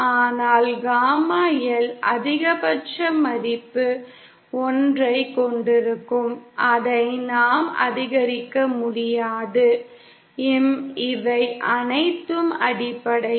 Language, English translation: Tamil, But gamma L will have a maximum value of 1, one which we cannot increase it and uhh, that’s all basically